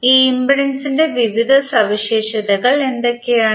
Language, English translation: Malayalam, What are the various properties of this impedance